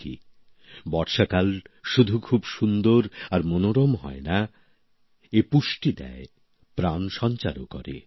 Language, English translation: Bengali, Indeed, the monsoon and rainy season is not only beautiful and pleasant, but it is also nurturing, lifegiving